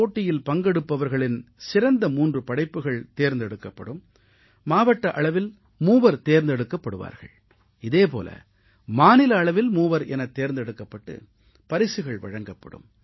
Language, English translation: Tamil, The best three participants three at the district level, three at the state level will be given prizes